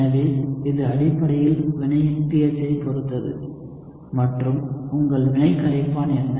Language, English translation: Tamil, So it essentially depends again on the pH of the reaction and what was your reaction solvent